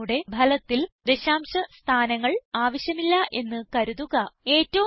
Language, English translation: Malayalam, Now suppose we dont want any decimal places in our result